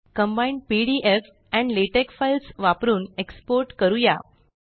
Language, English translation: Marathi, Let us export using combined pdf and latex files